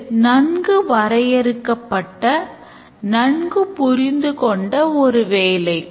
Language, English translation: Tamil, So, it's a well defined, well understood task can be easily done